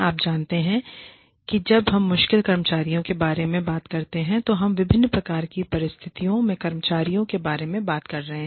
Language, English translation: Hindi, You know, when we talk about difficult employees, we are talking about employees, in different kinds of situations